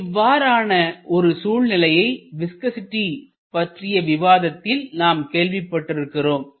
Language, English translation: Tamil, We have seen such a case when we are discussing about viscosity